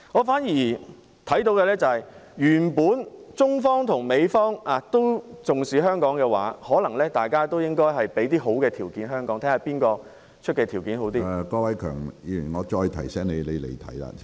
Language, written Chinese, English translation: Cantonese, 反而，我看到的是，如果中方與美方都重視香港，大家也應為香港提供一些好的條件，看看誰提出的條件較好......, On the contrary I notice that if China and the United States both treasure Hong Kong they should be offering some favarouble terms to us and we should weight which terms are better